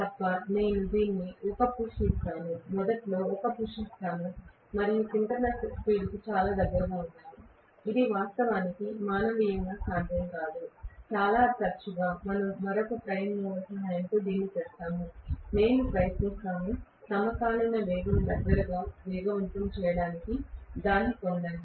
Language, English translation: Telugu, Unless, I probably give it a push, let say initially I give it a push and I get it very close to synchronous speed, which is actually not manually possible, very often we do this with the help of another prime mover, we try to get it up to speed close to synchronous speed